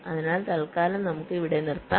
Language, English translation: Malayalam, so for now, let us stop here, thank you